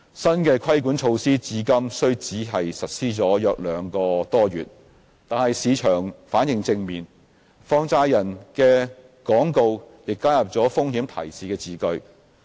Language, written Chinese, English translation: Cantonese, 新的規管措施至今雖只實施約兩個多月，但市場反應正面，放債人的廣告也加入了風險提示字句。, While these new regulatory measures have taken effect for only around two months or so the market has responded positively and the advertisements of money lenders have now contained a risk warning statement